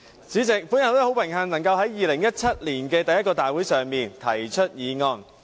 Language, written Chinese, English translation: Cantonese, 主席，我很榮幸能夠在2017年第一個大會上提出議案。, President I find it an honour to propose this motion at the first Council meeting in 2017